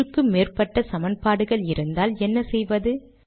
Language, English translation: Tamil, What do you do when you have more than one equation